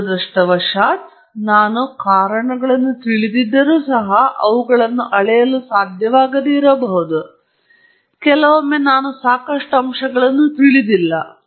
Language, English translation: Kannada, Now, unfortunately, even if I know the causes, I may not be able to measure them and sometimes I don’t even know the factors exhaustively enough